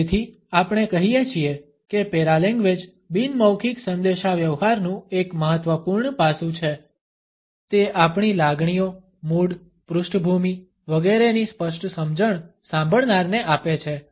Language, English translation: Gujarati, So, we say that paralanguage is an important aspect of nonverbal communication, it passes on a clear understanding of our emotions, moods, background etcetera to the listener